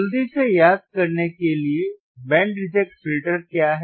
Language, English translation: Hindi, So, to quickly recall, what is band reject filter